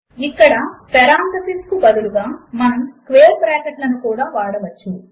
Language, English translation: Telugu, Here we can also use square brackets instead of parentheses